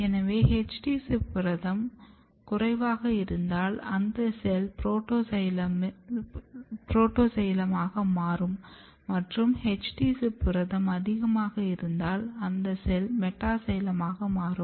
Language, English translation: Tamil, If HD ZIP protein is low in amount, the cell is going to be protoxylem protoxylem and if HD ZIP protein is high in the cells it is going to be metaxylem